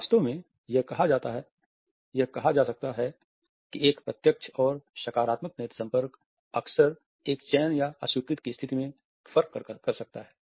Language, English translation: Hindi, In fact, it can be said that a direct and positive eye contact can often make the difference between one selection or rejection